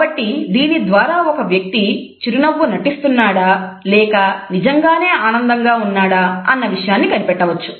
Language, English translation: Telugu, So, this is the best way to tell if someone is actually faking a smile or if they are genuinely happy